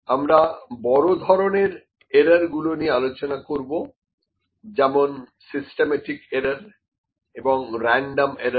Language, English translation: Bengali, See the to major kinds of errors we will discuss upon on that as well, systematic error and random errors